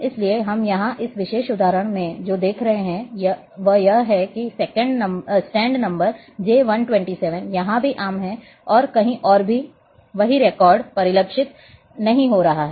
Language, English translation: Hindi, So, what we are seeing here in this particular example, that the stand number J 127 is also common here and elsewhere there the same records are not being reflected